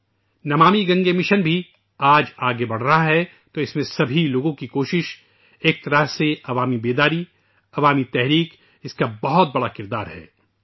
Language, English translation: Urdu, The Namami Gange Mission too is making advances today…collective efforts of all, in a way, mass awareness; a mass movement has a major role to play in that